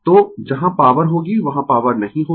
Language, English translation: Hindi, So, where power will be, there will be no power